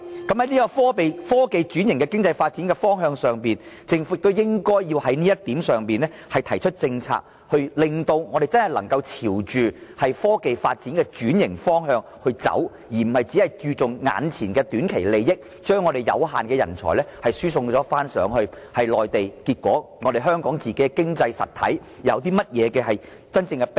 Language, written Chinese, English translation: Cantonese, 在科技轉型的經濟發展的方向上，政府也應在這方面制訂政策，令香港真的能夠朝着科技轉型的發展方向前進，而不是注重眼前的短期利益，將香港有限的人才輸送內地，結果對香港的經濟實體有甚麼真正裨益？, On this the Government should also draw up a policy to make it a direction of economic development so that Hong Kong can really progress towards technological transformation rather than funnelling our limited supply of talents to the Mainland just for the sake of immediate and short - term gains . What good can this bring to the real economy of Hong Kong?